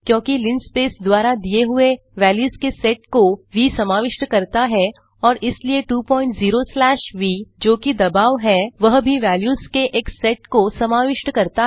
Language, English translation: Hindi, This is because our V contains a set of values as returned by linspace and hence 2.0 slash V which is the pressure also contains a set of values